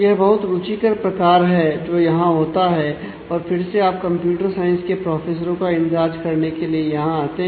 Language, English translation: Hindi, This is an interesting case that happens here where again you come to computer science professors to be entered